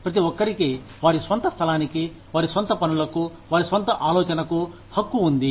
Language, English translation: Telugu, Everybody has a right, to their own space, to their own way of doing things, to their own thinking